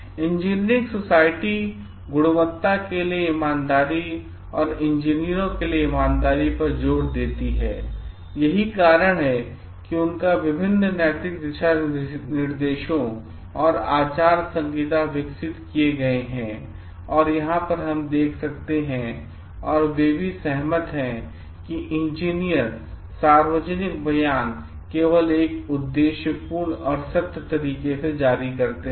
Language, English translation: Hindi, Engineering societies emphasizes the honesty for quality, honesty for engineers and that is why they have developed like different ethical guidelines and codes of conduct as we can see over here and they all agree that engineers issue public statement only in an objective and truthful manner